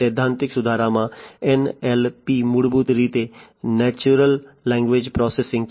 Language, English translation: Gujarati, In theory improving in NLP, NLP is basically Natural Language Processing